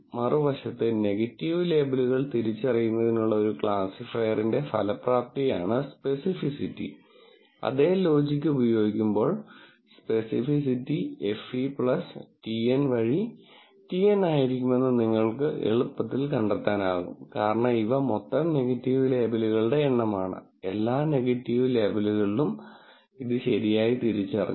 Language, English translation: Malayalam, Specificity, on the other hand is the effectiveness of classifier to identify negative labels and using the same logic, you can quite easily find that the specificity will be TN by FE plus TN, because this, these are the total number of negative labels, correctly identified among all the negative labels